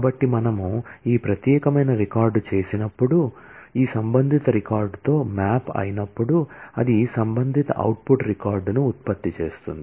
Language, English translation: Telugu, So, when we do this particular record, when it gets mapped with this corresponding record, it will generate the corresponding output record